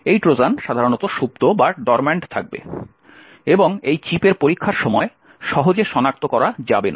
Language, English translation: Bengali, This Trojan will be typically dormant and not easily detectable during the testing time of this particular chip